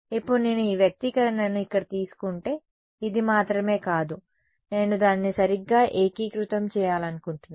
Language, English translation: Telugu, Now if I take this expression over here its not just this that I want I want to integrate it right